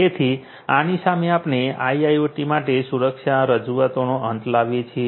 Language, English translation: Gujarati, So, with this we come to an end of the introduction of security for IIoT